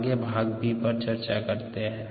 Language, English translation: Hindi, we still have part b left